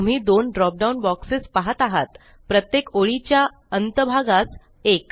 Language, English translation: Marathi, You see two drop down boxes one for each end of the line